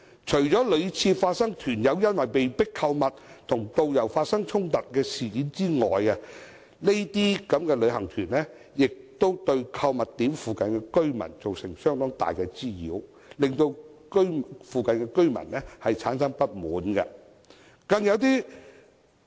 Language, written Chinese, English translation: Cantonese, 除了屢次發生團友因被迫購物而與導遊衝突的事件外，該等旅遊團也對購物點附近居民造成相當大的滋擾，令附近居民產生不滿。, Apart from repeated confrontations between tour group members and tour guides due to coerced shopping great nuisances have also been caused by such groups to residents in the vicinity of shopping spots giving rise to dissatisfaction amongst the residents